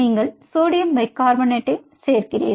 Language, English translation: Tamil, you do sodium bicarbonate